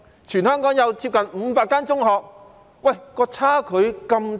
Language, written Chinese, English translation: Cantonese, 全香港有接近500間中學，但數據差距竟然那麼大。, Given that there are nearly 500 secondary schools in Hong Kong the discrepancy in the figures is really big